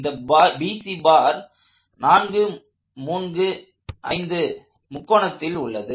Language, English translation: Tamil, We are told the bar BC is on this 4 through 5 triangle